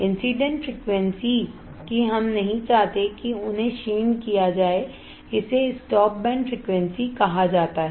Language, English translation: Hindi, Incident frequencies, that we do not want they are attenuated it is called the stop band frequency